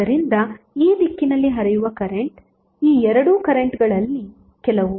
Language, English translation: Kannada, So the current flowing in this direction would be some of these two currents